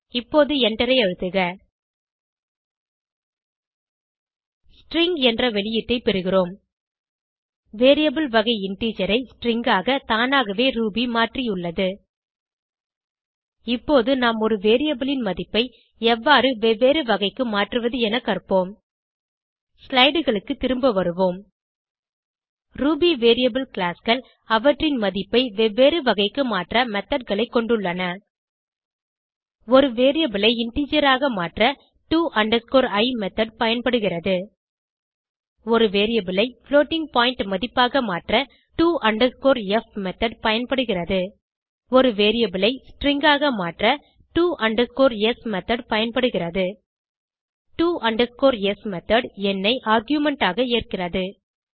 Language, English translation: Tamil, Now Press Enter We get the output as string Ruby has automatically changed the variable type from integer to string We will now learn how to convert a variable value to different type Lets switch back to slides Ruby variable classes have methods to convert their value to a different type to i method is used to convert a variable to integer to f method is used to convert a variable to floating point value to s method is used to convert a variable to string to s method takes number base as an argument